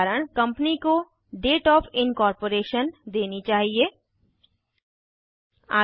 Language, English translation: Hindi, A Company should provide its Date of Incorporation